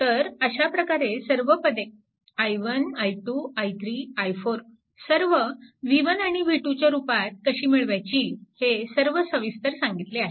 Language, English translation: Marathi, So, all this things i 1 then i 1, i 2, i 3, i 4, all how to get it in terms of v 1 and v 2 all this things are explained